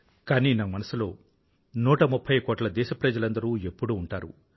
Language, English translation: Telugu, These minute stories encompassing a 130 crore countrymen will always stay alive